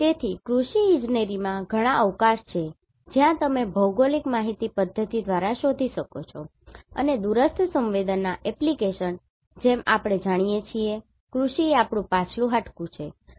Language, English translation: Gujarati, So, in Agriculture Engineering, there is lots of scope where you can look for the GIS and remote sensing application as we know, agriculture is our back bone right